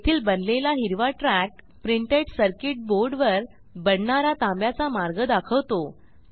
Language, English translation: Marathi, The green track created represents actual copper path created on the printed circuit board